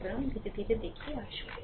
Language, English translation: Bengali, So, slowly and slowly come down